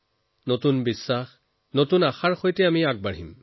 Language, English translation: Assamese, With new hopes and faith, we will move forward